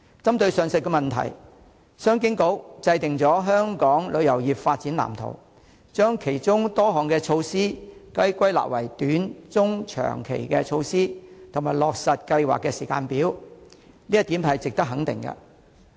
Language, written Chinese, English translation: Cantonese, 針對上述問題，商務及經濟發展局制訂了《香港旅遊業發展藍圖》，將其中多項措施歸納為短、中、長期措施，以及落實計劃的時間表，這一點是值得肯定的。, To address these problems the Commerce and Economic Development Bureau has formulated the Development Blueprint for Hong Kongs Tourism Industry summing up the many measures proposed as short medium and long - term initiatives and providing a timetable for implementation . This is worthy of support